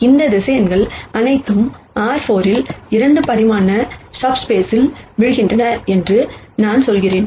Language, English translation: Tamil, So, I say that, all of these vectors fall in a 2 dimensional subspace in R 4